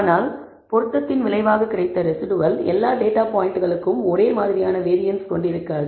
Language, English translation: Tamil, But the residual which is a result of the fit will not have the same variance, for all data points